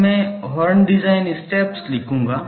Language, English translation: Hindi, And, now I will write horn design steps, horn design steps